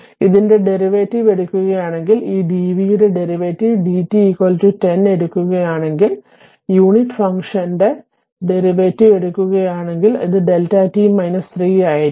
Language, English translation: Malayalam, So, if you take the derivative of this one, if you take the derivative of this one d v by d t is equal to 10, it will be delta t minus 3 if you take the derivative of unit function